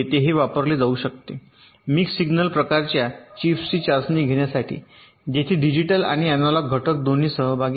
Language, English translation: Marathi, this can be used to test the mix signal kind of chips where there are both digital and analog components involved